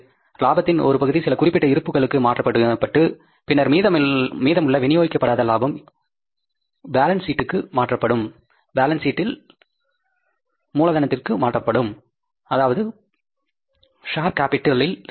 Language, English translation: Tamil, So, part of the profit is distributed as dividend to the shareholders, part of the profit is transferred to some specific reserves and then undistributed profit left is transfer to the balance sheet and added in the capital, share capital